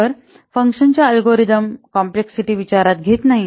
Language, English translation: Marathi, So, it does not consider algorithm complexity of a function